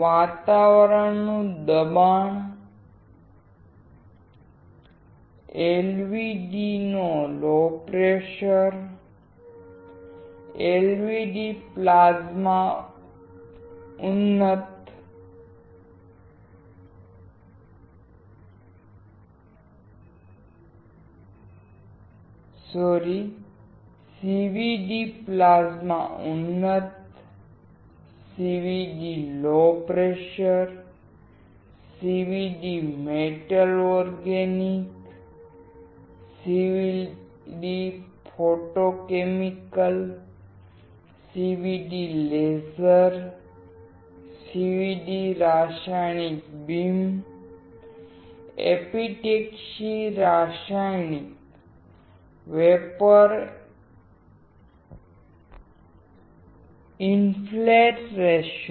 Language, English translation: Gujarati, Atmospheric pressure; CVD low pressure; CVD plasma enhanced; CVD metal organic; CVD photochemical; CVD laser; CVD chemical beam; epitaxy chemical vapor infiltration